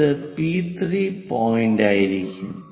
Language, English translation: Malayalam, This will be P3 point